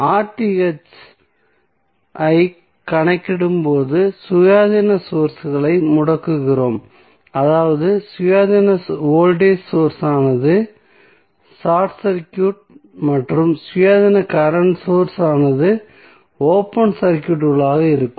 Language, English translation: Tamil, So, when we calculate R Th we make the independence sources turned off that means that voltage source independent voltage source would be short circuited and independent current source will be open circuited